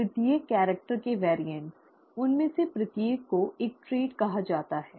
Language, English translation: Hindi, The variants of each character, each one of them is called a trait